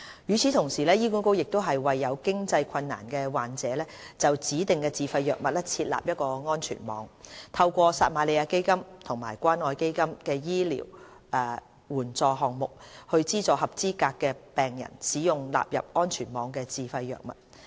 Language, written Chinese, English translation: Cantonese, 與此同時，醫管局亦為有經濟困難的患者就指定自費藥物設立安全網，透過撒瑪利亞基金和關愛基金醫療援助項目，資助合資格的病人使用納入安全網的自費藥物。, HA provides a safety net for patients with financial difficulties in respect of specific self - financed items through the Samaritan Fund and the Community Care Fund CCF Medical Assistance Programmes under which eligible patients are subsidized to purchase self - financed drugs covered by the safety net